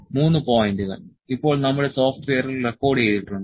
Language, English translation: Malayalam, 3 points are now recorded in our software